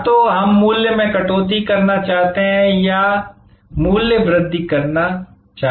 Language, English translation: Hindi, Either, we want to initiate price cut or we want to initiate price increase